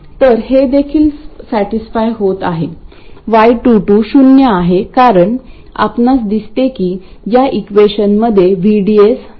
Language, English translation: Marathi, So, this is also satisfied, right, Y22 is 0 because you see that this expression does not contain VDS